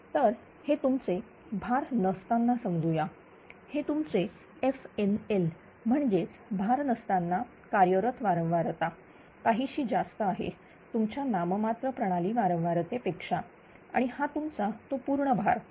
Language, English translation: Marathi, So, this is your ah that is that at no load suppose this is your f NL this that operating frequency at no load slightly a higher than your nominal system frequency and this is that full load full load means